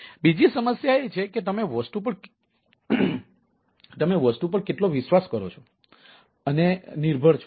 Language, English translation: Gujarati, so that is that is how much you trust and dependent on the thing